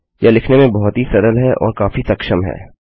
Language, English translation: Hindi, It is easier to write and much more efficient